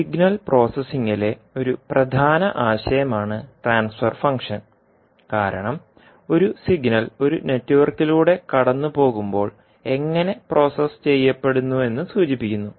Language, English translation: Malayalam, Transfer function is a key concept in signal processing because it indicates how a signal is processed as it passes through a network